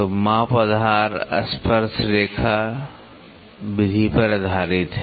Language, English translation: Hindi, So, the measurement is based on the base tangent method